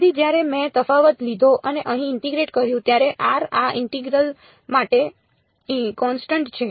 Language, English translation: Gujarati, So, when I took the difference and integrated over here r is constant for this integral